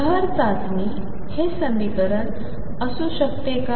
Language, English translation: Marathi, Can this be the equation for the waves test